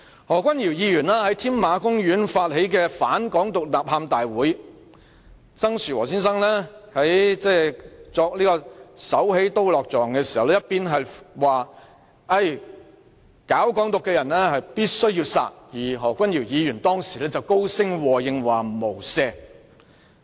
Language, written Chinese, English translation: Cantonese, 何君堯議員在添馬公園發起"反港獨、反冷血、反偽學吶喊大會"，曾樹和先生在作"手起刀落"狀時說道，"搞'港獨'者必須殺"，而何君堯議員當時便高聲和應說"無赦"。, Dr Junius HO initiated the anti - independence anti - cold - bloodedness anti - bogus academic rally at the Tamar Park . Making a hand - chop gesture Mr TSANG Shu - wo said Those who propagate Hong Kong independence must be killed . And at the time Dr Junius HO echoed aloud by saying without mercy